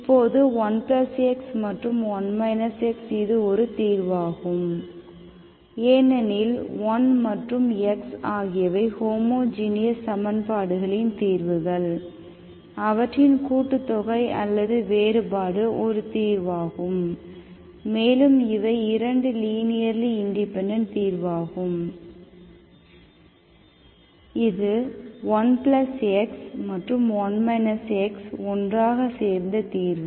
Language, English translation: Tamil, Now these are also, 1+ x and 1 minus x are also solutions because 1 and x are solutions of homogeneous equations, their summation is also, the difference is also solution and these are also 2 linearly independent solutions, this one and this one, okay, both together